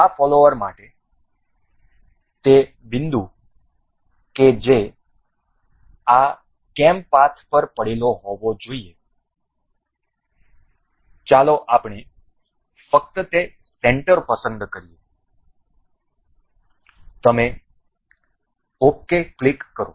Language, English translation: Gujarati, For this follower the point that has to be lying over this this cam path, let us just select the center you click ok